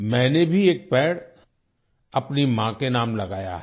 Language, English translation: Hindi, I have also planted a tree in the name of my mother